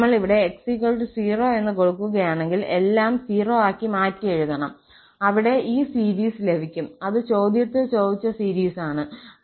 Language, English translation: Malayalam, For another one, when we put x equal to 0, we will get the series which we were getting in this desired series